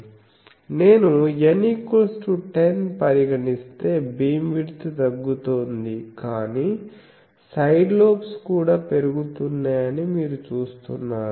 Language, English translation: Telugu, If I go to N is equal to 10, beam width is reducing, but also you see that number of side lobes are also increasing and this